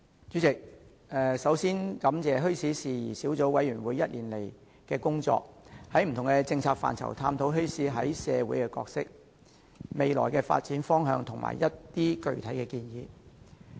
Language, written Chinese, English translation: Cantonese, 主席，首先，我感謝墟市事宜小組委員會過去1年的工作，在不同政策範疇探討墟市在社會擔當的角色、未來發展方向和一些具體建議。, President first of all I thank the Subcommittee on Issues Relating to Bazaars for its work in the past year which include examining the role of bazaars in society and the direction for future development from the perspectives of different policy areas; and making specific recommendations